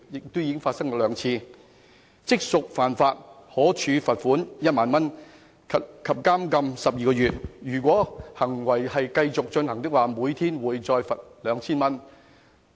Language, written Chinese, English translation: Cantonese, 這情況已發生過兩次，可處罰款1萬元及監禁12個月；如果行為持續，另加每天罰款 2,000 元。, This situation has already arisen twice . Offenders are liable to a fine of 10,000 and to imprisonment for 12 months and in the case of a continuing offence to a further fine of 2,000 for each day